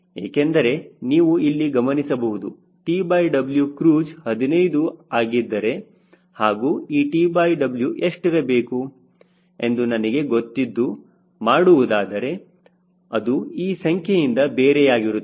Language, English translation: Kannada, because notice that if t by w cruise is fifteen and if i want to know what should be t by w, where from i should start, then that it will be different than this value